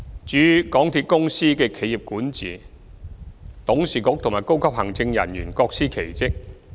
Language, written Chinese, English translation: Cantonese, 至於港鐵公司的企業管治，其董事局和高級行政人員各司其職。, As regards MTRCLs corporate governance its Board and senior executives perform different duties